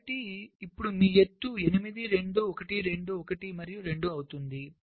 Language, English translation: Telugu, ok, so now your height becomes ah, eight, two, one, two, one and two